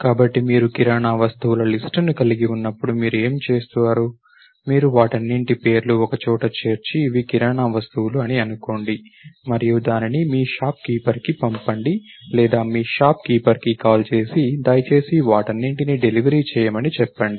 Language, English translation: Telugu, So, what you do when you on the list of grocery items, you know name, all of them and put them together and say okay these are grocery items and sent it to your work shop keeper to or call your shop keeper and say please deliver these items and so on